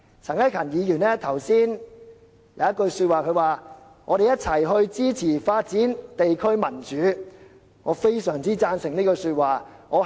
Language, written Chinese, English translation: Cantonese, 陳克勤議員剛才說的一句話："我們一起支持發展地區民主"，我是非常贊成的。, Mr CHAN Hak - kan said something to this effect earlier We should support the development of democracy at the district level together . I very much agree with this